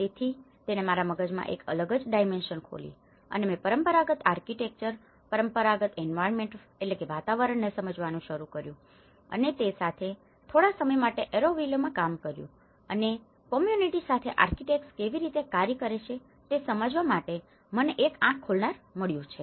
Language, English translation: Gujarati, So, it opened a different dimension in my mind and I started looking at understanding the traditional Architecture, traditional environments and with that, I worked in Auroville for some time and that has given me an eye opener for me to understand how the architects works with the communities